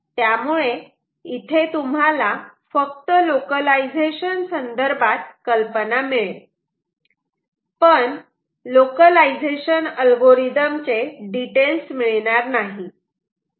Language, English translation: Marathi, ok, and this is just to give you an idea of on localization, rather than not rather going to the details of ah localization algorithms